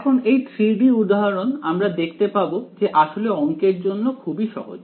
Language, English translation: Bengali, Now, the 3 D example as it turns out will actually be easier to the math will be easier